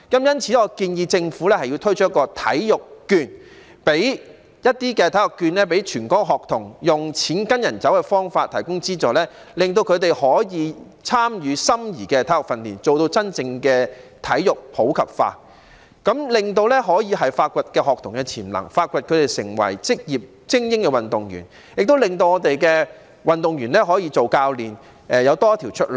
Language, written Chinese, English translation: Cantonese, 因此，我建議政府推出體育券予全港學童，以"錢跟人走"的方法提供資助，令他們可以參與心儀的體育訓練，做到真正的體育普及化，這樣便可以發掘學童的潛能，培養他們成為職業精英運動員，亦應令香港的運動員成為教練。, Therefore I suggest that the Government introduce sports vouchers for all students in Hong Kong and provide subsidies in the form of money following users so that students can participate in the sports training of their choice and truly promote sports in the community . In this way students with potential can be identified so that they can be trained to become professional elite athletes . In addition the Government should also encourage Hong Kong athletes to become coaches